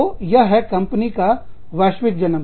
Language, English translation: Hindi, So, that is the born global firm